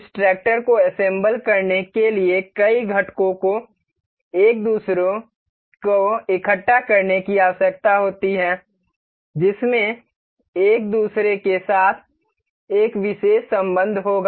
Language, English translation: Hindi, Assembling this tractor requires multiple components to be gathered each other each each of which shall have a particular relation with each other